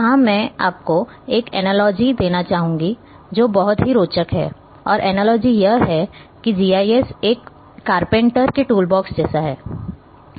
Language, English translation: Hindi, Here I would like to give you one analogy, which is very interesting and the analogy is that GIS is something like a carpenter’s toolbox